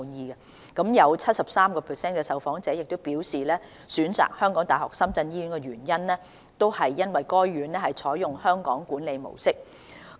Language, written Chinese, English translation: Cantonese, 有 73% 的受訪長者表示，選擇港大深圳醫院的原因，是該院採用"香港管理模式"。, 73 % of the elders interviewed indicated that their reason for choosing HKU - SZH was the Hong Kong management model that it adopts